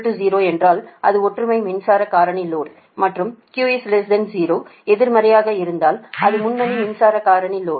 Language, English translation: Tamil, if q is equal to zero, it is unity power factor load, and if q is negative, that is, less than zero, it will be in leading power factor load